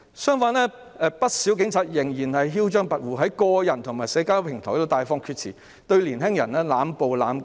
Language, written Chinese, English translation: Cantonese, 相反，不少警察仍然囂張跋扈，在個人和社交平台上大放厥辭，對年輕人濫暴和濫告。, On the other hand many police officers remain arrogant and insolent . They spouted arrant nonsense on personal and social platforms used excessive force against young people and charged them indiscriminately